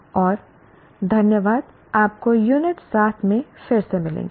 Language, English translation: Hindi, We will meet you again in the unit 7